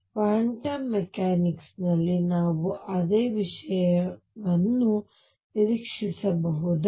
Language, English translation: Kannada, Should we expect the same thing in quantum mechanics